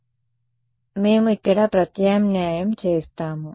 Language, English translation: Telugu, So, we will just substitute over here